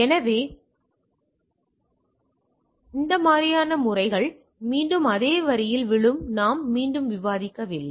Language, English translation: Tamil, So, methods again it falls in that same line we are not again discussing